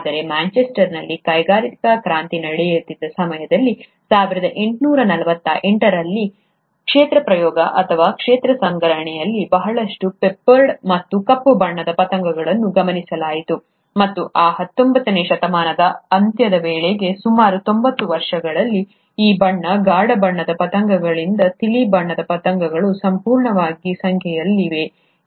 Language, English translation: Kannada, But a field trial, or a field collection in 1848, around the time when the industrial revolution was taking place in Manchester, a lot of peppered and black coloured moths were observed, and by the end of that nineteenth century, in a period of about ninety years, the light coloured moths was totally outnumbered by these dry, dark coloured moths